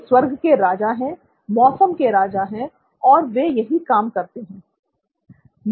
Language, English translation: Hindi, He is the Lord of the heavens, Lord of the weather and that is what he does